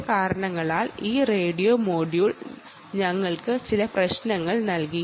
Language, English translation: Malayalam, for some reason this radio module gave us some trouble